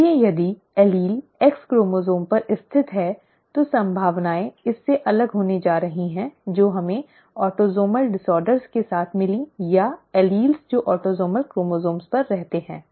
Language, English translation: Hindi, So if the allele lies on the X chromosome, then the probabilities are going to be different from that we found with autosomal disorders, or the alleles that reside on autosomal chromosomes